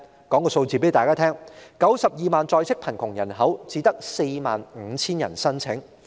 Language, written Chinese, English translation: Cantonese, 我且告訴大家有關數字，在 920,000 在職貧窮人口中，只有 45,000 人申請。, I may tell Members the relevant figures . Among the 920 000 population in working poverty only 45 000 people have applied for the allowance